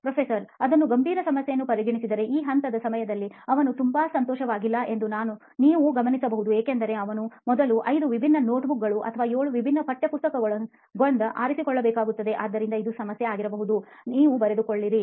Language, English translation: Kannada, If you consider that to be a serious problem you can note that down saying during this step he is not so happy because he has to go through five different notebooks or seven different textbooks before he can land up on the right book, so that could be a problem that you can write, note down somewhere